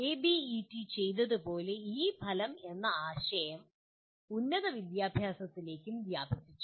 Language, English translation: Malayalam, As ABET has done it has extended this outcome concept to higher education as well